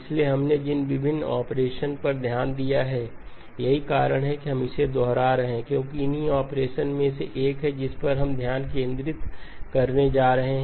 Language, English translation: Hindi, So the various operations that we have looked at which is the reason we are repeating this is because one of the operations is what we are going to be focusing on